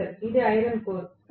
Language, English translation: Telugu, Professor: It is iron core